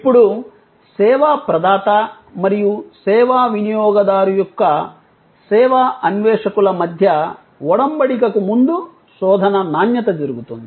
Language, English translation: Telugu, Now, search quality therefore can happen prior to the engagement between the service provider and the service seeker of the service consumer